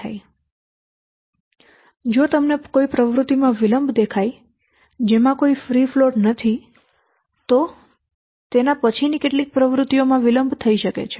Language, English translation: Gujarati, Now, you see, a delay in an activity which has no free float it will delay at least some subsequent activity later on